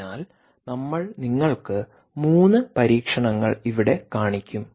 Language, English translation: Malayalam, ok, so we will show you three experiments here